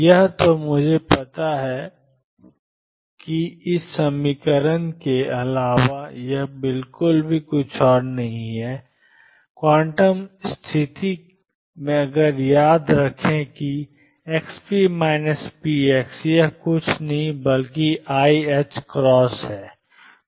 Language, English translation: Hindi, This then I know is nothing but expectation value of xp plus px divided by 2 plus, recall from the quantum condition that xp minus px this is nothing but I h cross